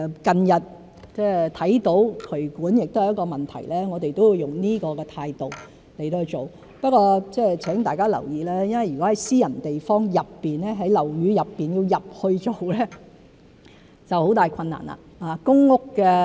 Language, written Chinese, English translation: Cantonese, 近日看到渠管亦是一個問題，我們亦會以此態度來處理，不過請大家留意，如果在私人地方內、在樓宇內，要進去做工作就會有很大困難。, As regards the drainage problem we have identified recently we will also adopt the same attitude to deal with it . However I would like to draw Members attention to the fact that it will be very difficult for us to enter and work in private premises or buildings